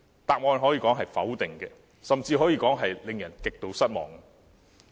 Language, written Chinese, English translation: Cantonese, 答案可以說是否定的，甚至可以說令人極度失望。, We can say that the answer is in the negative and is also extremely disappointing